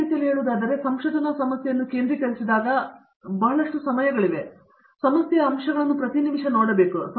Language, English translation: Kannada, In other words, lots of times has when we have focus on our research problem we tend to look at every minute aspects of the problem as they are looking at